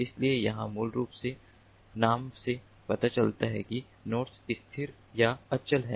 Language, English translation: Hindi, so here, basically, as the name suggests, the nodes are stationary or static, so they do not move